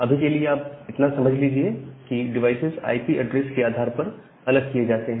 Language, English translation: Hindi, So, for the time being just understand that different devices, they are separated by the IP addresses